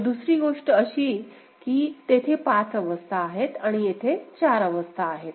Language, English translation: Marathi, So, the other thing that we can see that there are 5 states ok and here are four states